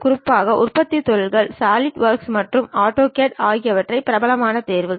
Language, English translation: Tamil, Especially, in manufacturing industries Solidworks and AutoCAD are the popular choices